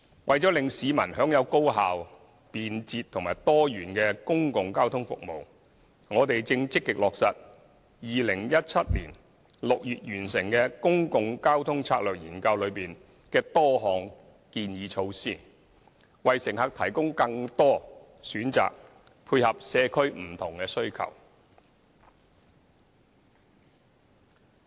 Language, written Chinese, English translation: Cantonese, 為了令市民享有高效、便捷和多元的公共交通服務，我們正積極落實2017年6月完成的《公共交通策略研究》內多項建議措施，為乘客提供更多選擇，配合社區不同需求。, In order to ensure that the public can enjoy highly - efficient convenient and diversified public transport services we are actively implementing the recommended measures in the Public Transport Strategy Study completed in June 2017 with a view to providing passengers with more choices and complementing various regional demands